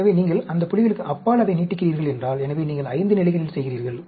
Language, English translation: Tamil, So, if you are extending it beyond those, those points, so, you are doing at 5 levels